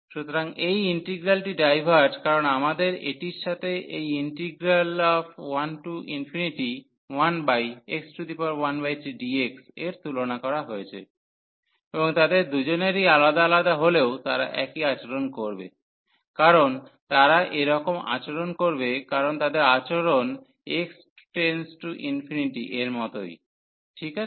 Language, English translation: Bengali, So, this integral diverges because we have a compared this with 1 to infinity 1 over x power 1 by 3 d x integral, and they both has two different has to be behave the same because of the reason that they behave their behaviour is same as x approaches to infinity, well